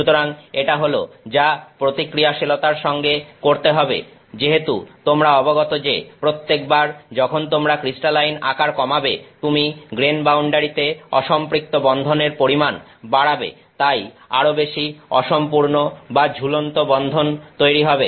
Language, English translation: Bengali, So, this is what to do with reactivity, as you are aware every time you reduce the crystalline size you are increasing the number of unsaturated bonds at the grain boundaries more grain boundaries; so, more incomplete or dangling bonds